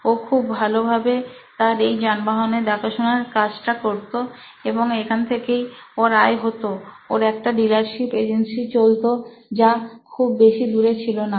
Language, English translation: Bengali, So he used to do his servicing overhaul of vehicles and that’s where his revenue came from, he was running a dealership not too far from here